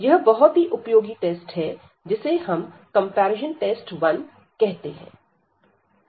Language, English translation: Hindi, So, this is a very useful test comparison test it is called comparison test 1